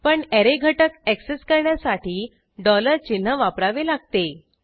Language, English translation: Marathi, But, to access an array element we need to use $ sign